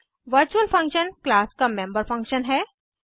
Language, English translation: Hindi, Virtual function is the member function of a class